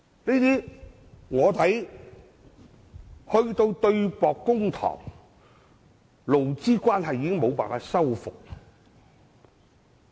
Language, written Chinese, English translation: Cantonese, 如果要對簿公堂，勞資關係已無法修復。, If employers and employees have to resort to legal proceedings their relationship is beyond repair